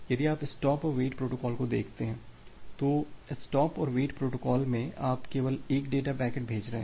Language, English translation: Hindi, If you look into the stop and wait protocol, so the stop and wait protocol you are sending only one data packet